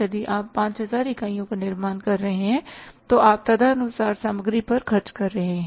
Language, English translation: Hindi, If you are manufacturing 5,000 units you are spending on the material accordingly